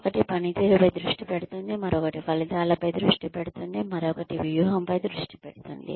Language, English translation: Telugu, One focuses on the performance, the other focuses on outcomes, the other focuses on strategy